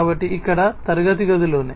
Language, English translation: Telugu, So, over here in the classroom itself